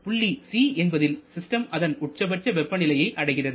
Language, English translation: Tamil, Now, at point number c, the system reaches its maximum temperature i